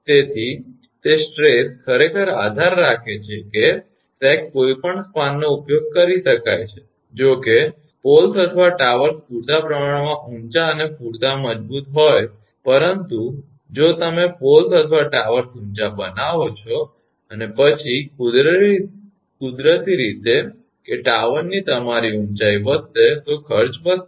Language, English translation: Gujarati, Therefore, that stress actually depend sag any span can be used provided the poles or towers are high enough and strong enough, but if you make poles or towers are high and then naturally that your height of the tower will increase therefore, cost will increase